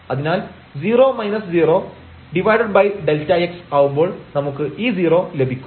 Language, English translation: Malayalam, So, 0 minus 0 by delta x and we get this 0